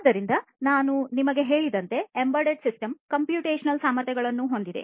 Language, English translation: Kannada, So, as I told you that an embedded system has the computational capabilities